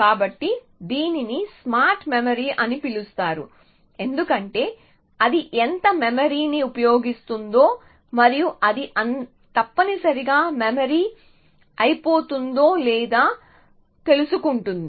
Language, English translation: Telugu, So, that is why it is called smart memory in the sense it is aware of how much memory it is using and